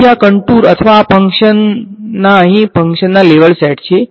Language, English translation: Gujarati, So, these are contours or level functions level sets of this function over here